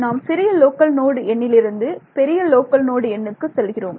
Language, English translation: Tamil, No we were going from smaller local node number to larger local node number right